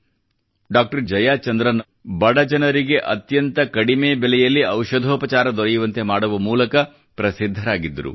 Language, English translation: Kannada, Jayachandran was known for his efforts of making the most economical treatment possible available to the poor